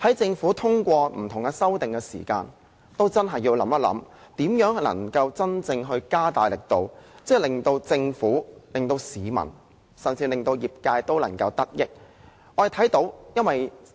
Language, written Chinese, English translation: Cantonese, 政府通過不同修訂的時候，真的要想想應如何加大力度，令政府、市民甚至業界均能得益。, When passing different amendments the Government should really consider how best to step up its efforts to benefit itself the public and even the trades